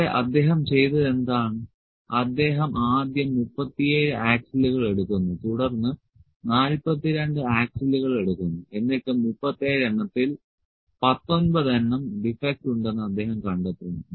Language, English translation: Malayalam, He first picks 37 axles, then he picks 42 axles and out of 37 he finds that there are19 defects are there